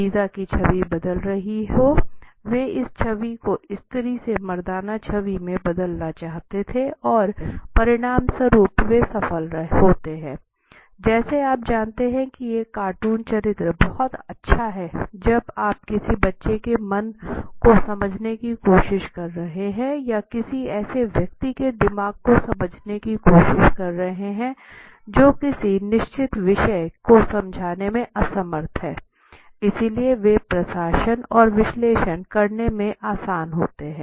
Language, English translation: Hindi, So that the image of visa should be changing right they wanted to change this image from a feminine to a more masculine Image so and as a result they successful did it right similar there are characteristics like you know a cartoon character is soon and this is very applicable this is very nice when you are getting into a child you are trying to understand the mind of a child or a person who is of loss understanding to a certain subject it could be something like this right so they are simpler to administer and analyse then the picture response